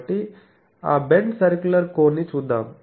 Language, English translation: Telugu, So, we will see that bent circular cone